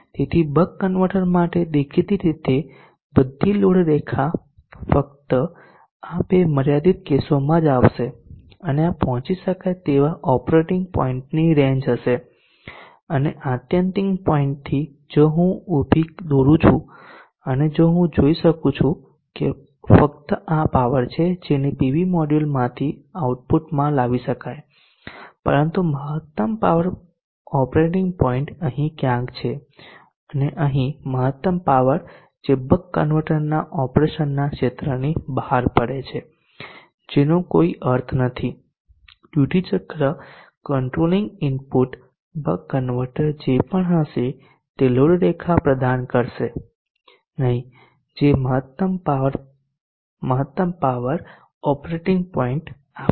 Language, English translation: Gujarati, So this is what you would get a D=1 so for the buck converter apparently all load lines will fall only within these two limiting cases and this would be the range the reachable operating points and from the 16 point if I drop a vertical and I will see that only these are the powers that can be outputted from the PV module but the peak power operating point is somewhere here and the peak power falls here which is outside the zone of operation of the Backend therefore this scenario would lead to a situation where the buck converter operation is not meaningful